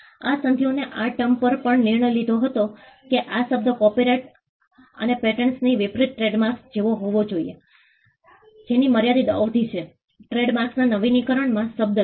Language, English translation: Gujarati, These treaties also decided on the term what the term should be trademark unlike copyright and patents which have a limited term, trademarks have an renewable term